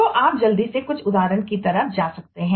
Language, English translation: Hindi, so you could go through some examples quickly